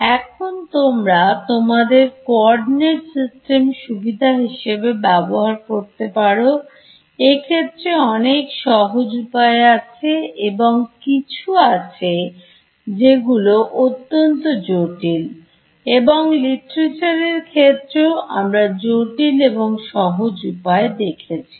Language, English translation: Bengali, Now you should you should use your coordinate system to your advantage, there are sort of simple ways of doing this and there are some very complicated ways of doing this and even in the literature we will find complicated and simple ways